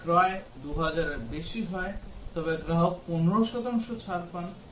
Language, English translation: Bengali, If the purchase is more than 2000 rupees then the customer gets 15 percent discount